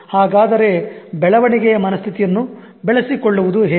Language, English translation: Kannada, So how to develop growth mindset